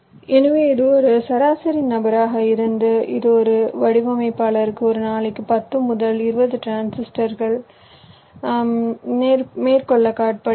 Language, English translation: Tamil, so this was a average figure which is coated: ten to twenty transistors per day per designer